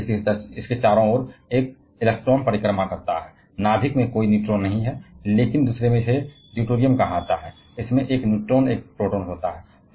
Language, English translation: Hindi, And therefore, one electron orbiting around that, no neutron in a nucleus, but in the second one which is called deuterium, it has one neutron and one proton